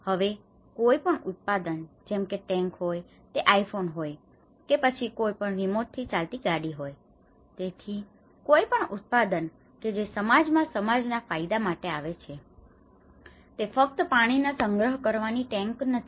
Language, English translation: Gujarati, Now, any product whether it is a tank, whether it is an iPhone, whether it is any other remote driving car right, so any product which is coming into the society for the benefit of society, okay it is not just a tank which is collecting water